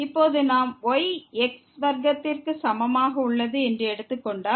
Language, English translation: Tamil, Now, if we take is equal to square